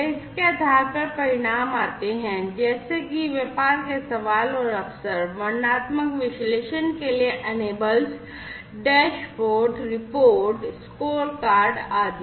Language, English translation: Hindi, And based on that coming up with outcome such as the business questions and the opportunities, the enablers for descriptive analytics are dashboards, reports, scorecards, and so on